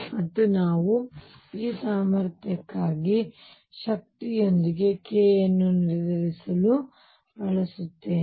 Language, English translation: Kannada, And we used to determine the energy versus k for this potential